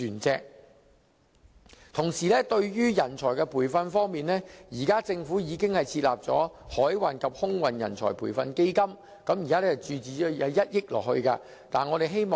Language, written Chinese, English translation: Cantonese, 至於人才培訓方面，現時政府已經設立海運及空運人才培訓基金，並已注資1億元。, Speaking of talent training the Government has already set up the Maritime and Aviation Training Fund with a funding injection of 100 million